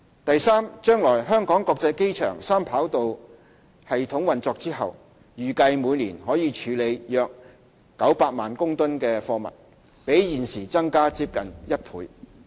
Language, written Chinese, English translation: Cantonese, 第三，將來香港國際機場三跑道系統運作後，預計每年可處理約900萬公噸的貨物，比現時增加接近1倍。, Third when the Three - Runway System of HKIA commences operation the airport will be able to handle about 9 million tonnes of cargo annually which will nearly double the current cargo handling capacity